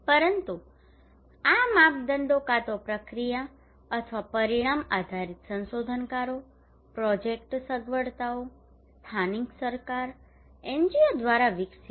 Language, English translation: Gujarati, But these criterias either process or outcome based developed by researchers, project facilitators, local government, NGOs